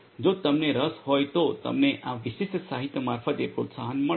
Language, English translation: Gujarati, In case you are interested you are encouraged to go through this particular literature